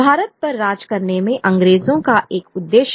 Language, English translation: Hindi, British have a purpose in ruling India